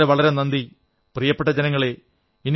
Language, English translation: Malayalam, I thank you my dear countrymen